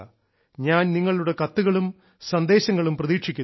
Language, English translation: Malayalam, I will be waiting for your letter and messages